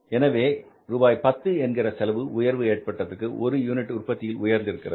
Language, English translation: Tamil, So this 10 rupees cost has increased because of increase in the production by one unit